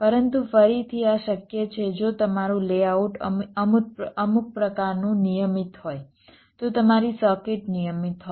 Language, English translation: Gujarati, ok, but again, this is possible if your layout is some sort of regular, your circuit is regular